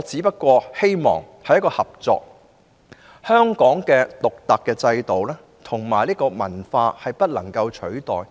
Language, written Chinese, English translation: Cantonese, 畢竟，香港獨特的制度及文化不能取代。, After all Hong Kongs unique systems and culture are indispensable